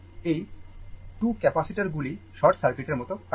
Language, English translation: Bengali, These 2 capacitor they act like a short circuit right